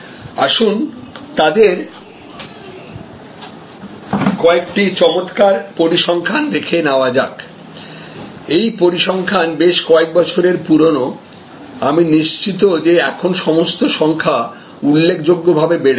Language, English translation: Bengali, Let us look at some of the fantastic figures they have, these figures are few years older, I am sure now all the numbers have gone up significantly